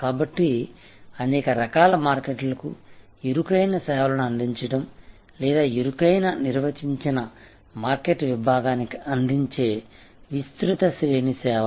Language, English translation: Telugu, So, either narrow service offering to many different types of markets or wide range of services offered to a narrowly defined market segment